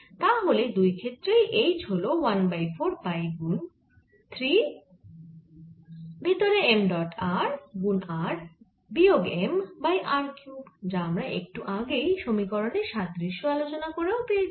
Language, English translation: Bengali, so h in both cases is one over four pi three m dot r r minus m over r cubed, as just derived because of the analogy of the equations